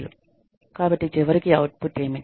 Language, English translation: Telugu, So, ultimately, what is the output